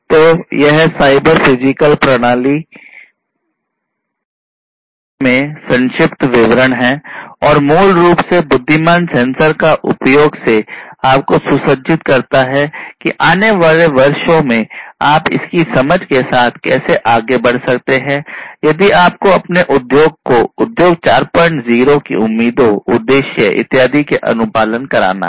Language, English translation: Hindi, So, this brief of brief idea about cyber physical systems and the use of intelligent sensors basically equips you with an understanding of how you can go forward in the years to come, if you have to make your industry compliant with Industry 4